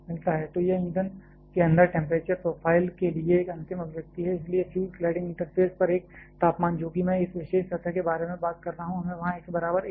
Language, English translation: Hindi, So, this is a final expression for temperature profile inside the fuel, therefore a temperature at the fuel cladding interface that is I am talking about this particular surface here we have to put x equal to a there